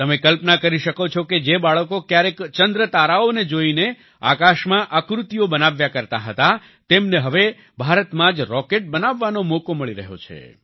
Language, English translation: Gujarati, You can imagine those children who once used to draw shapes in the sky, looking at the moon and stars, are now getting a chance to make rockets in India itself